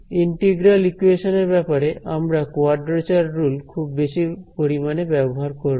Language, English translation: Bengali, So, we will use these quadrature rules extensively in integral equation approaches